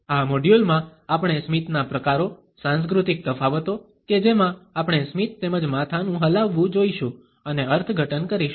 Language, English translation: Gujarati, In this module we would look at the types of a smiles, the cultural differences in which we pass on and interpret a smiles as well as the head nods